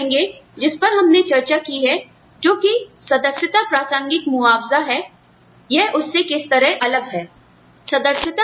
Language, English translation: Hindi, Now, you will say, how is this different from, what we just discussed earlier, which is the membership contingent compensation